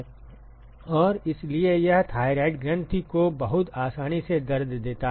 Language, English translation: Hindi, And so, that hurts the thyroid gland very easy